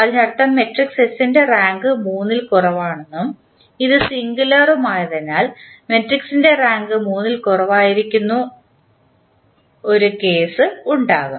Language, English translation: Malayalam, That means that the rank of matrix S is less than 3 and since it is also singular means there will be definitely a case when the rank of the matrix will be less than 3